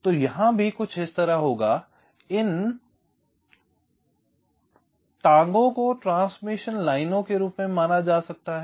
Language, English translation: Hindi, so it will be something like this: these legs can be treated as transmission lines